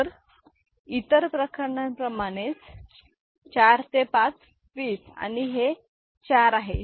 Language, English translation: Marathi, So, similarly for the other cases; so, 4 into 5, 20 and this is 4, ok